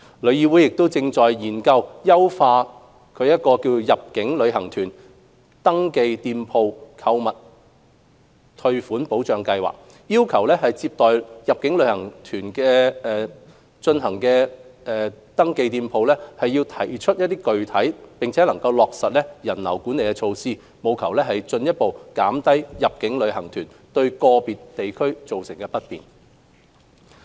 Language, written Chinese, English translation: Cantonese, 旅議會亦正研究優化其入境旅行團購物退款保障計劃，要求接待入境旅行團進行定點購物的登記店鋪提出並落實人流管理措施，務求進一步減低入境旅行團對個別地區造成的不便。, TIC is also examining to enhance the Refund Protection Scheme for Inbound Tour Group Shoppers by requiring registered shops serving inbound tour groups for designated shopping to put forward and implement visitor crowd management measures with a view to further reducing the inconvenience caused by inbound tour groups to certain districts